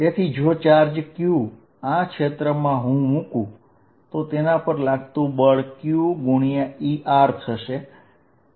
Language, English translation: Gujarati, So, that when charge q is put in this field, the force on this charge is given as q times E r